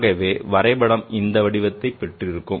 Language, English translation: Tamil, Therefore the plot looks like the shape